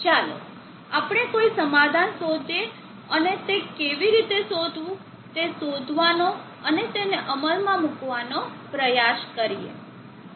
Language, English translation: Gujarati, Let us seek a solution and try to find out and how do that and implement that